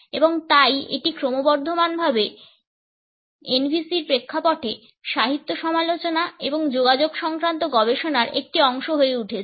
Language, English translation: Bengali, And therefore, it is increasingly becoming a part of literary criticism and communication studies in the context of NVCs